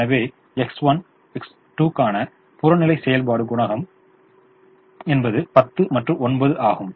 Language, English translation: Tamil, so the objective function coefficient for x one, x two is ten and nine